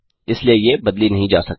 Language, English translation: Hindi, Therefore they cannot be manipulated